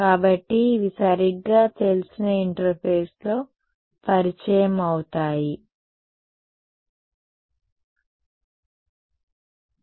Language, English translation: Telugu, So, these are known right gets introduced at the interface ok